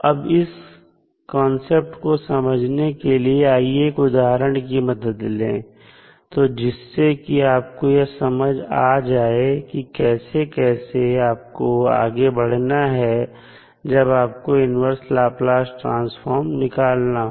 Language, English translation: Hindi, So, to understand these concepts, let us understand with the help one example, so that you are more clear about how to proceed with finding out the inverse Laplace transform